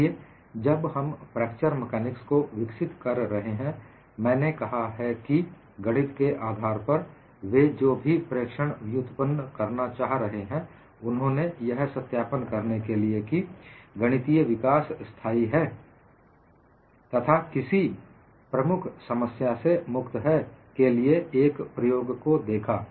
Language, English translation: Hindi, See, while developing fracture mechanics, I have said, whatever the observations they were trying to derive based on mathematics, they tried to look at in an experiment to whether verify the mathematical development has been consistent, free of any major problems